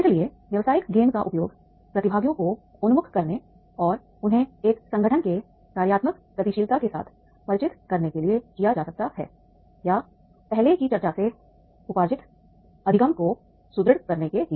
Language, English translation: Hindi, So business game can be used for orienting the participants and familiarizing them with the functional dynamics of an organization or for the reinforcing the learning occurring from an earlier discussion